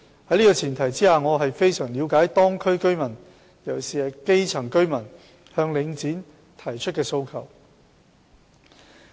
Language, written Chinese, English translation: Cantonese, 在這個前提下，我十分了解當區居民——尤其是基層居民——向領展提出的訴求。, On this premise I understand fully the aspirations of residents in the districts concerned particularly the grass roots